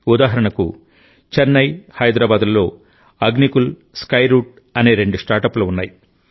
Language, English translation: Telugu, For example, Chennai and Hyderabad have two startups Agnikul and Skyroot